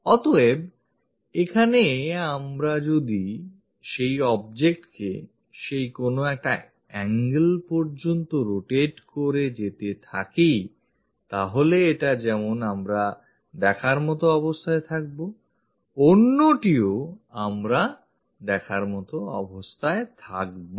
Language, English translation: Bengali, So, here if we are rotating that object by that certain angle; this one, we will be in a position to view; that one, we will be in a position to view